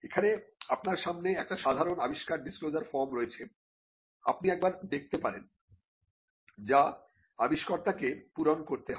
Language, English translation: Bengali, Now, here in front of you there is a typical invention disclosure form, you can just have a look at this now this form has to be filled by the inventor